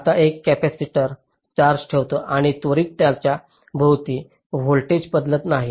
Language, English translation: Marathi, now a capacitor holds the charge and it does not instantaneously change the voltage across it, right